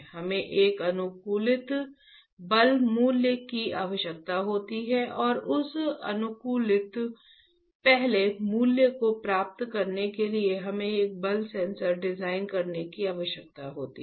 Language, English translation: Hindi, We require an optimized force value and to get that optimized first value, we need to design a force sensor